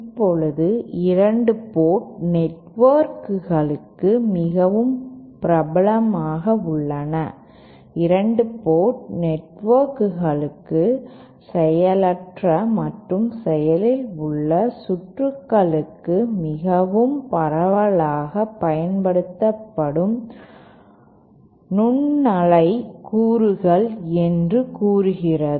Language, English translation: Tamil, Now 2 port networks are very popular one says 2 port networks are the most widely used microwave components both for passive as well as active circuits